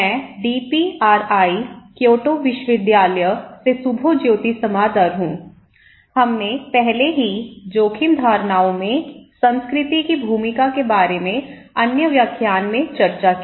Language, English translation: Hindi, I am Subhajyoti Samaddar from DPRI, Kyoto University so, we already discussed in other lectures about the role of culture in risk perceptions